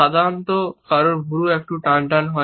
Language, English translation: Bengali, Usually, someone’s eyebrows are tensed up a bit